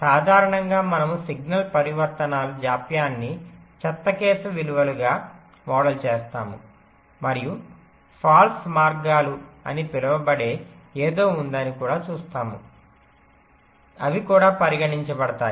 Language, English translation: Telugu, normally we model the signal transitions, the delays, as the worst case values and we shall also see there is something called false paths, which are which are also considered